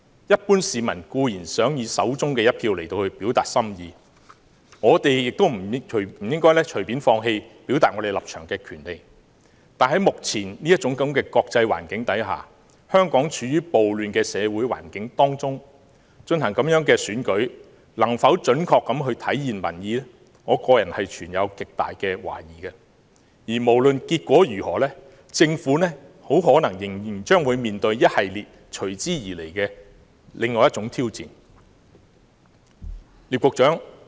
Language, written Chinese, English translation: Cantonese, 一般市民固然想以手中一票來表達心意，我們也不應該放棄表達立場的權利，但在目前這種國際環境下，香港處於暴亂的社會環境當中，進行這樣的選舉能否準確體現民意，我個人存有極大的懷疑，無論結果如何，政府可能仍將面對一系列隨之而來的挑戰。, The general public certainly wish to use their votes to express their hearts and minds and we should not give up this right to express our stance . But at present against this international backdrop and the social unrest faced by Hong Kong I personally am very doubtful whether the conduct of the election can accurately reflect public sentiments . Whatever the outcome the Government may still have to face a series of subsequent challenges